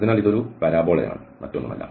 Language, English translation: Malayalam, So, this is a parabola nothing else